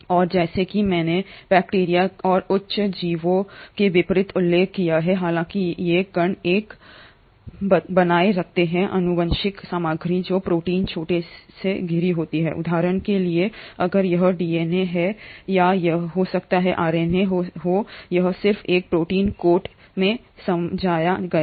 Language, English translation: Hindi, And as I mentioned unlike bacteria and higher organisms, though these particles retain a genetic material which is surrounded by a protein coat, for example if this is a DNA or it can be RNA, it is just encapsulated in a protein coat